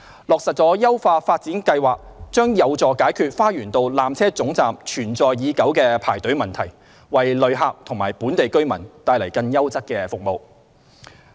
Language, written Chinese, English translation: Cantonese, 落實優化發展計劃將有助解決花園道纜車總站存在已久的排隊問題，為旅客及本地居民帶來更優質的服務。, The implementation of the upgrading plan will address the long - standing queuing problem at the Lower Terminus and bring about enhanced service provision to tourists and locals